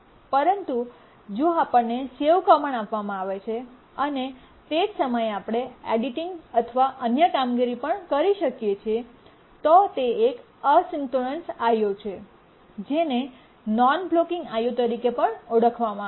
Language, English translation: Gujarati, But if you are given a save command and at the same time you are able to also do editing and other operations, then it's a asynchronous I